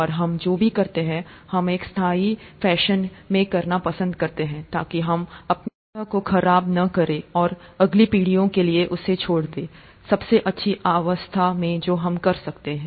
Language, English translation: Hindi, And, whatever we do, we like to do in a sustainable fashion, so that we don’t spoil the our planet, and leave it for the next generations in the best state that we can